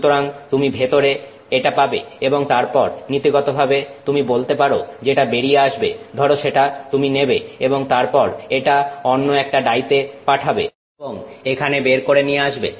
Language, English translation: Bengali, So, you get this in and then in principle you can take that what comes out of here and send it into another die and then bring it out here